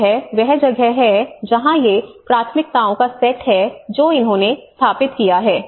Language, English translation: Hindi, So that is where these are the kind of set of priorities which they have established